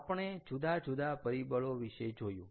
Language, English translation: Gujarati, right, we looked at various factors